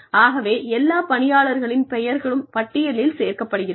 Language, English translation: Tamil, So, all the employees, the names of all the employees, are on this list